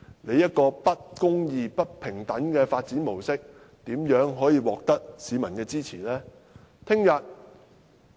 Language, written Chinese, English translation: Cantonese, 這種不公義、不平等的發展模式，怎可能獲得市民的支持呢？, How can this kind of unjust and unfair mode of development gain the support of the public?